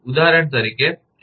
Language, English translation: Gujarati, For example, F